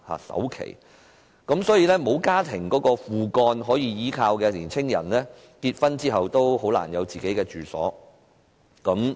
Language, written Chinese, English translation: Cantonese, 所以，不能依靠家庭或"父幹"的青年人，在結婚後很難有自己的住所。, Therefore young couples who do not have the support of their families or parents will have great difficulties in living together after marriage